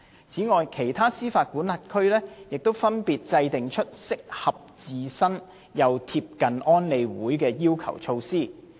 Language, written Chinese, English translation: Cantonese, 此外，其他司法管轄區亦分別制訂出適合自身又貼近安理會要求的措施。, Moreover measures adopted by other jurisdictions have been customized to suit their own circumstances while ensuring close compliance with the requirements of UNSCR 2178